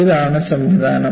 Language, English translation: Malayalam, So, this is the mechanism